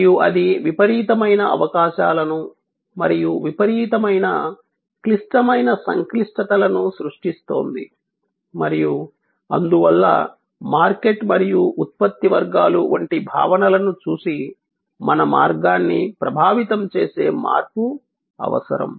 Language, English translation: Telugu, And that is creating tremendous opportunities as well as tremendous critical complexities and that is what, therefore necessitates the change to impact our way of looking at concepts like market and product categories